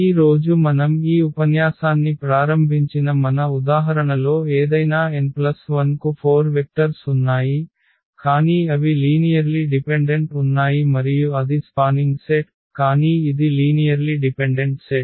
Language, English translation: Telugu, So, here any n plus 1 in the in our example also which we started this lecture today we had those 4 vectors, but they were linearly dependent and that was a spanning set ah, but it was a linearly dependent set